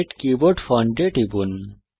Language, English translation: Bengali, Click Set Keyboard Font